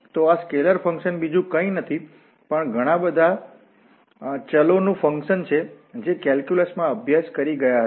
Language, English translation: Gujarati, So these scalar functions are nothing but the function of several variables which were studied in calculus